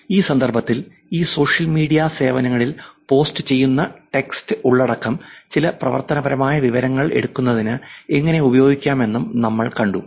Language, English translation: Malayalam, In this context we also saw that how we can use the text content that is posted on these social media services to take some actionable information